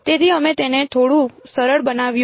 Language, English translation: Gujarati, So, we made it a little bit simpler